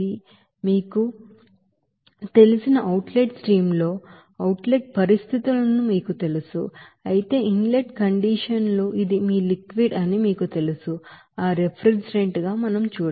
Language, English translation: Telugu, Whereas in the outlet streams that vapor you know this is your, you know outlet conditions whereas inlet conditions this you know this will be your liquid you know that refrigerant